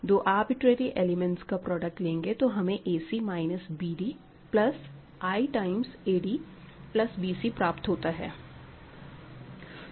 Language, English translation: Hindi, More interestingly, if you take the product of any arbitrary elements, you get a c minus b d plus i times a d plus b c